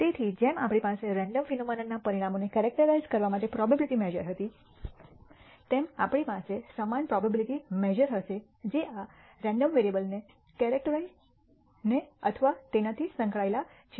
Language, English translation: Gujarati, So, just as we had a probability measure to characterize outcomes of random phenomena, we will have a similar probability measure that characterizes or is associated with this random variable